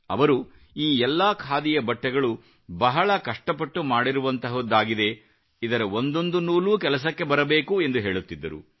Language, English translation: Kannada, He used to say that all these Khadi clothes have been woven after putting in a hard labour, every thread of these clothes must be utilized